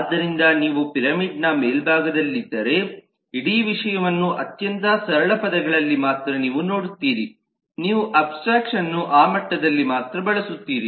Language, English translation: Kannada, so if you are at the top of the pyramid then you get to see only very simple the whole thing in very simple terms